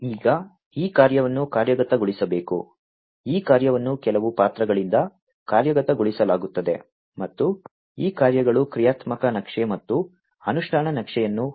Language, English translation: Kannada, Now this task will have to be executed, these task will be executed by certain roles, and these tasks will have a functional map and an implementation map